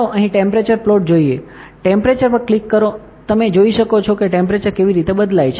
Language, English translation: Gujarati, Now, let us see the temperature plot here, click temperature you can see how temperature is varying